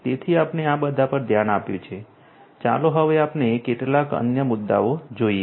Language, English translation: Gujarati, So, we have looked at all of these; now let us look at the few other issues